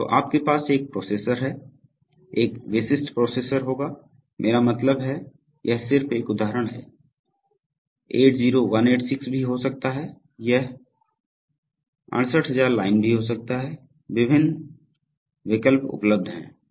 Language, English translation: Hindi, So you have a processor, a typical processor would be, I mean this is just an example it could be 80186, it could also be from the 68,000 line, various choices are available